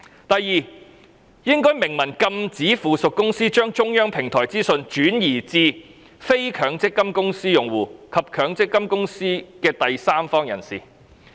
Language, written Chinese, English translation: Cantonese, 第二，應該明文禁止附屬公司將中央電子平台的資訊，轉移至非強積金公司用戶及強積金公司的第三方人士。, Second the subsidiary should be expressly prohibited from transferring the information from the centralized electronic platform to non - MPF company users and third parties of MPF companies